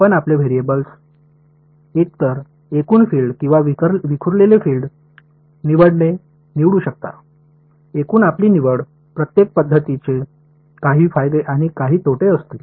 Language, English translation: Marathi, You could choose to have your variables be either the total filed or the scattered field it is your choice, total your choice each method will have some advantages and some disadvantages